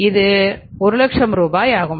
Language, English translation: Tamil, This is 50,000 rupees